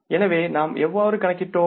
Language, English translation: Tamil, So we have to calculate the balance